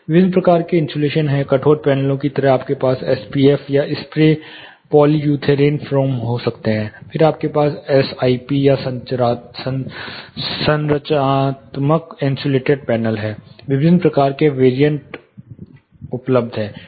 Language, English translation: Hindi, There are different types insulation; like rigid panels you can haves you know something called s p f or spray polyurethane foam, then you have s I p structural insulated panels, different varieties variants are available